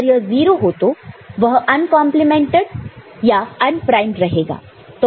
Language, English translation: Hindi, So, if it is 0, then it will be unprimed, uncomplemented